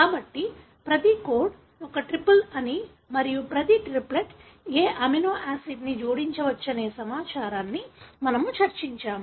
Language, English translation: Telugu, So, this is something we discussed that each code is a triplet and each triplet give an information, as to which amino acid should be added